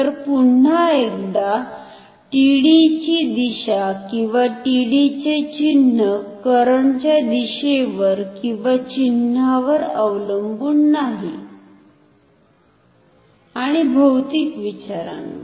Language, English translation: Marathi, So, once again the direction of TD or the sign of TD will not depend on the sign or direction of the current and from the physical consideration, what can we say